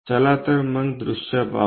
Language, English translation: Marathi, So, let us draw the views